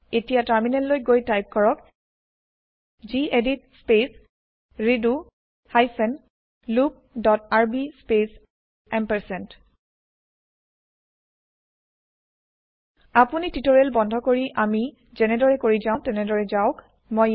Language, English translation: Assamese, Now let us switch to the terminal and type gedit space redo hyphen loop dot rb space You can pause the tutorial, and type the code as we go through it